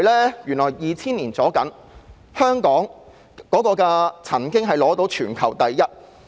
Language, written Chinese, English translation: Cantonese, 在2000年左右，香港的港口吞吐量曾經是全球第一。, In 2000 or so Hong Kongs port throughput was the highest in the world